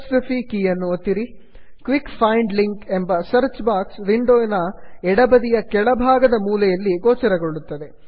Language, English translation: Kannada, The quick find links on the search box appears, at the bottom left corner of the window